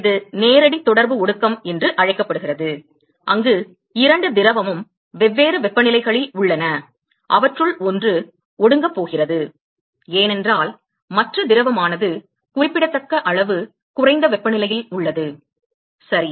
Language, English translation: Tamil, So, that is called the direct contact condensation, where two liquid is a different temperatures one of them is going to condense, because the other liquid is at a significantly at a lower temperature, ok